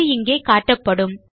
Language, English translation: Tamil, It will be displayed here